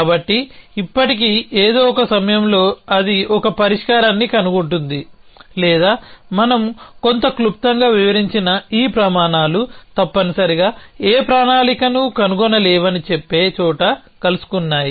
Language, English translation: Telugu, So, still at some point either it finds a solution or this criteria which we described somewhat briefly is met where it says that no plan can be found essentially